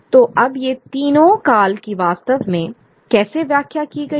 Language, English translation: Hindi, So, now how are these three periods really interpreted